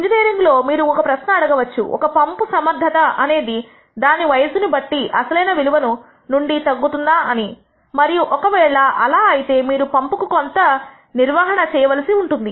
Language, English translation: Telugu, In engineering you can ask a question such as a pump e ciency whether it has degraded from its original value due to aging and if so you may want to do some maintenance of the pump